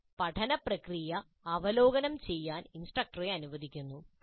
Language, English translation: Malayalam, This allows the instructor to review the process of learning